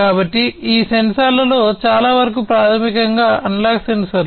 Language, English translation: Telugu, So, most of these sensors basically; most of these sensors are basically analog sensors